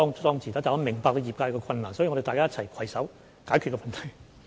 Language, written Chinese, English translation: Cantonese, 但是，我明白業界的困難，所以大家要一起攜手解決問題。, But I do understand the difficulties the industry is facing . We thus need to tackle this issue together